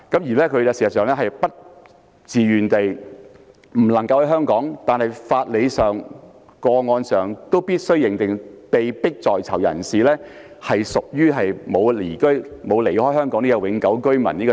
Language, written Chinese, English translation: Cantonese, 事實上，他不能身在香港，但無論從法理或個案而言，我們都必須認定，被迫在囚人士屬於沒有離開香港的永久性居民。, Although he is not in Hong Kong we must recognize either from a legal or case - based perspective that a wrongful prisoner being detained is a Hong Kong permanent resident staying in Hong Kong